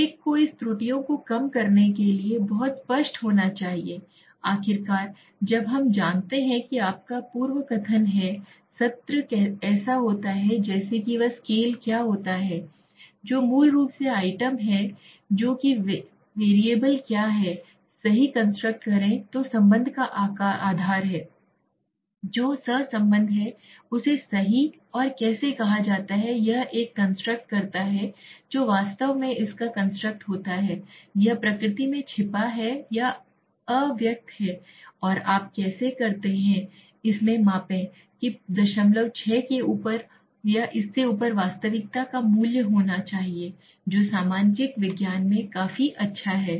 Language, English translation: Hindi, One has to be very clear reducing this errors so finally when we you know have recap of the session is like what is the scale what is then item basically what is the variable what is the construct right what is the basis of the relationship which is correlation is said right and how does a construct what is actually construct it is hidden or latent in nature and how do you measure it, what should be the reality value something on 0